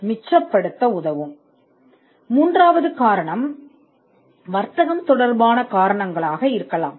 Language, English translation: Tamil, Now, the third reason could be reasons pertaining to commerce